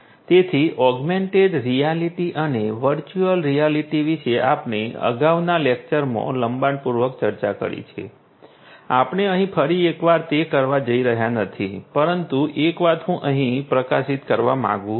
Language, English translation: Gujarati, So, augmented reality as well as virtual reality we have discussed in length in a previous lecture we are not going to do that once again over here, but one thing I would like to highlight over here